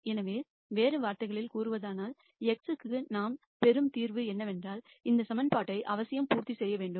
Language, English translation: Tamil, So, in other words what we are saying is whatever solution we get for x that has to necessarily satisfy this equation